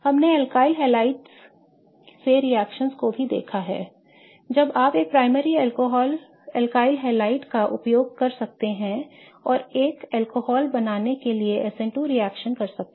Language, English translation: Hindi, We have also seen the reactions from alkalihylides when you can use a primary alkaliad and do S in 2 reaction to form an alcohol